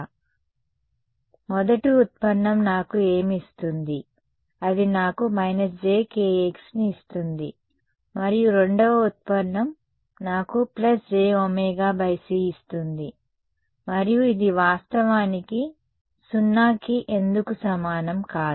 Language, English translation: Telugu, So, the first derivative what will it give me, it will give me a minus j k x and the second derivative gives me a plus j omega by c right and this is actually not equal to 0 why